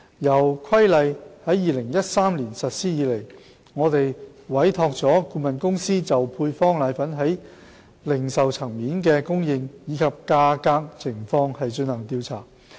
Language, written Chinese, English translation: Cantonese, 由《規例》在2013年實施以來，我們委託了顧問公司就配方粉在零售層面的供應及價格情況進行調查。, We have been conducting surveys through consultancy firms on the supply and price levels of powdered formulae at the retail level since the Regulation has come into effect in 2013